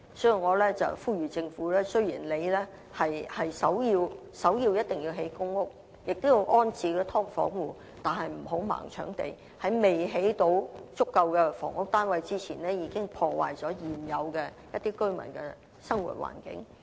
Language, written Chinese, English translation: Cantonese, 所以，我呼籲政府，雖然首要工作一定是興建公屋，並要安置"劏房戶"，但不要"盲搶地"，在未能興建足夠房屋單位前，已破壞了現有的居民的生活環境。, Therefore I urge the Government that although its top priority is to build PRH units and to rehouse people living in subdivided units it should not snatch land blindly and damage the living environment of some other residents before adequate PRH units are built